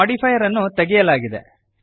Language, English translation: Kannada, The modifier is removed